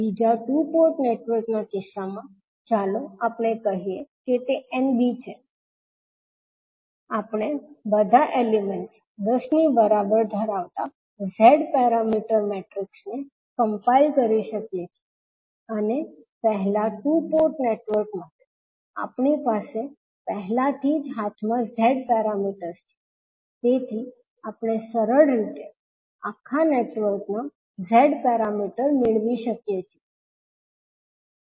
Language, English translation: Gujarati, So in case of second two port network let us say it is Nb, we can compile the Z parameter matrix as having all the elements as equal to 10 and for the first two port network we already have the Z parameters in hand so we can simply get the Z parameter of the overall network